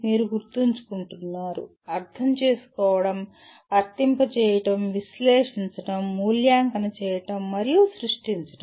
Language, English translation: Telugu, You are remembering, understanding, applying, analyzing, evaluating and creating